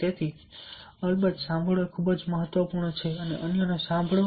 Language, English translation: Gujarati, so listening, of course, is very, very important